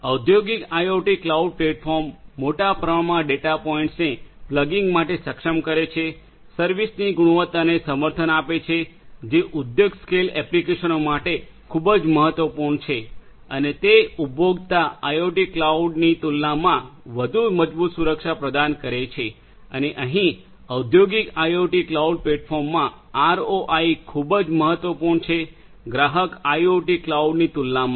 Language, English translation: Gujarati, Industrial IoT cloud platforms enable large number of data points for plugging in, supports quality of service that is very important for industry scale applications and also offers much more robust security compared to the consumer IoT cloud and also over here in the industrial IoT cloud ROI is very important consideration compared to the consumer IoT cloud